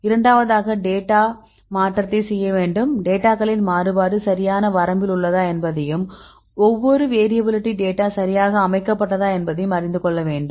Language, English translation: Tamil, Then the second one we need to do the data transformation for example, whether the variability of data right there exist a great deal of variability in the range right and the distribution of each variable the data set right